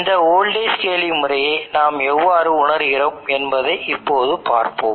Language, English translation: Tamil, Now let us see how we go about realizing this voltage scaling method